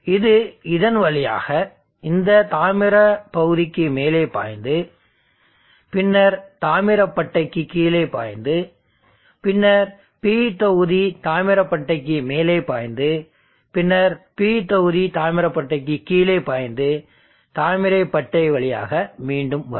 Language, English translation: Tamil, So you have a complete circuit you see the current can flow in this fashion it can flow in through this into this copper strip up, then block copper strip down, the P block copper strip up then block copper strip down the P block, copper strip copper and then back again